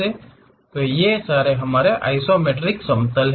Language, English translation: Hindi, So, these are isometric plane